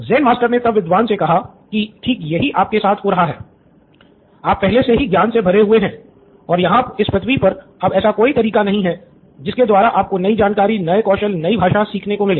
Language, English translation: Hindi, Zen Master said exactly what is happening with you, you are already full up to the brim with knowledge and there’s no way on earth you are going to get new information, new skills, new language